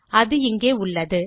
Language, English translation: Tamil, It is found here and...